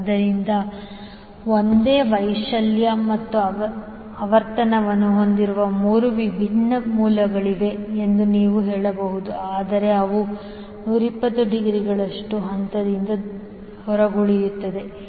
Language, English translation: Kannada, So, you can say that the there are 3 different sources having the same amplitude and frequency, but they will be out of phase by 120 degree